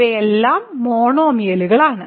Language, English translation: Malayalam, So, these are all monomials